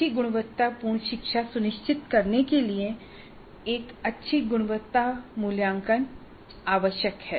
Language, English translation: Hindi, A good quality assessment is essential to ensure good quality learning